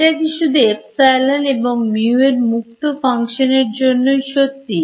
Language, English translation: Bengali, If this is true only if epsilon and mu are not functions of space